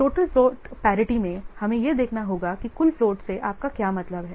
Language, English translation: Hindi, So in total float priority, we have to see what do you make total float